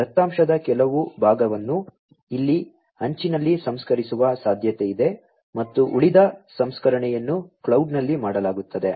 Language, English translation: Kannada, It is also possible that partially some part of the data will be processed at the edge over here, and the rest of the processing would be done at the cloud